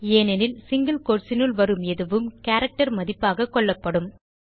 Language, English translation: Tamil, This is because anything within the single quotes is considered as a character value